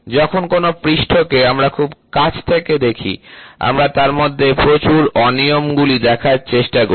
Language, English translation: Bengali, So, when we try to see a surface closely, we will try to see lot of irregularities